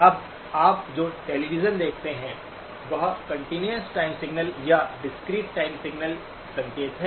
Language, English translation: Hindi, Now the television that you see, is that a continuous time signal or discrete time signal